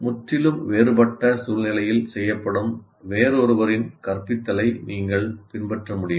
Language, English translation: Tamil, You cannot follow somebody else's instruction which is done in entirely different situation